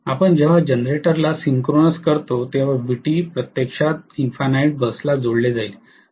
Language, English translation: Marathi, When we synchronous the generator Vt will be actually connected to the infinite bus